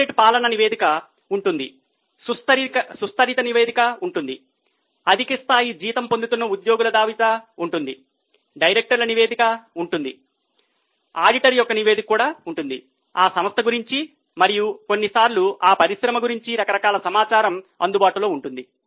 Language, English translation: Telugu, There will be corporate governance report, there will be sustainability report, there will be list of employees who are getting high level of salary, there would be directors report, there will be auditor's report, like that a variety of information about that company and sometimes about that industry is available